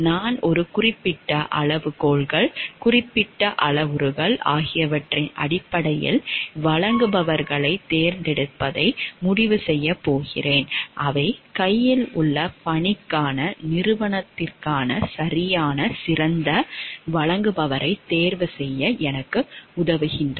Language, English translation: Tamil, I am a person who is going to decide for the selection of the suppliers based on certain criteria, certain parameters which are going to help me the choose the best supplier for the organization for the task at hand